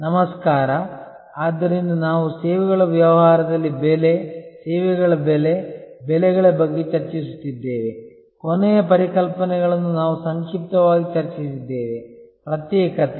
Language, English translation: Kannada, Hello, so we are discussing about Pricing, Services Pricing, Pricing in the Services business, we discussed briefly the fundamental concepts in the last secession